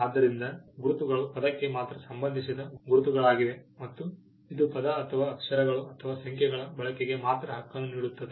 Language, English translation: Kannada, So, word marks are marks which pertain to a word alone, and it gives the right only for the use of the word or the letters or the numbers